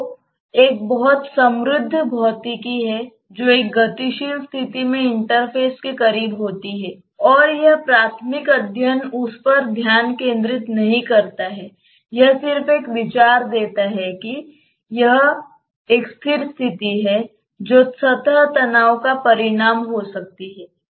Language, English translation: Hindi, So, there is a very rich physics that takes place close to the interface in a dynamic condition and this elemental study does not focus on that, it gives just a road idea of if it is a static condition what can be the consequence of surface tension